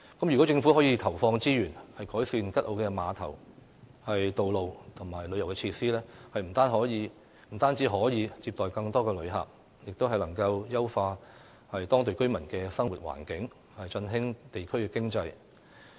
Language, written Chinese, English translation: Cantonese, 如果政府可以投放資源改善吉澳的碼頭、道路和旅遊設施，不但可接待更多旅客，亦能優化當地居民的生活環境，振興地區經濟。, If the Government can allocate resources to improve the pier roads and tourist facilities on Kat O not only can the island receive more visitors but the Government can also improve the living environment for the local residents and revive the local economy